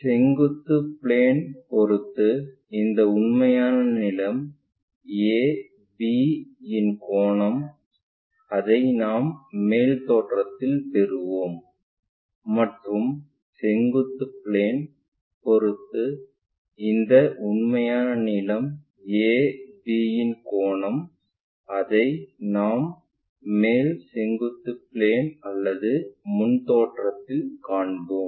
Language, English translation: Tamil, So, the angle made by this true length AB with respect to the vertical plane, that we will get it in the top view and the angle made by this true length with the horizontal we will see it on that vertical plane or in the front view